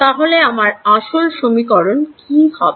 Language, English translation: Bengali, This is the equation